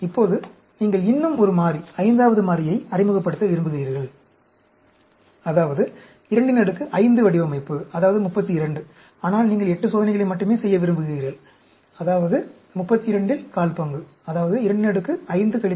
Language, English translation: Tamil, Now, you want to introduce one more variable, fifth variable; that means, 2 power 5 design; that is 32; but you want to do only 8 experiments, that means, one fourth of 32, which is 2 power 5 minus 2